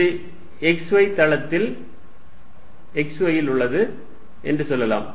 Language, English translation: Tamil, Let us say this is in the x y plane, x y